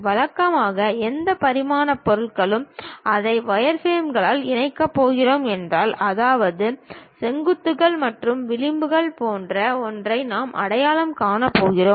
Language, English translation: Tamil, Usually any three dimensional object, if we are going to connect it by wireframes; that means, we are going to identify something like vertices and something like edges